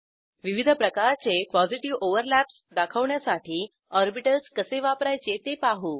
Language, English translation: Marathi, Let us see how to use orbitals to show different types of Positive overlaps